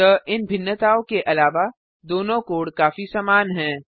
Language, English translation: Hindi, So, apart from these differences, the two codes are very similar